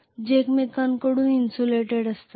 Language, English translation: Marathi, Which are insulated from each other